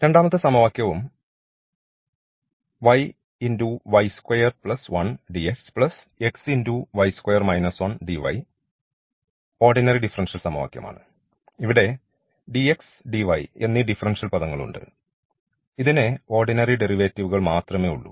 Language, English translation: Malayalam, So, we have these differential terms here dx dy and this is also having these ordinary derivatives only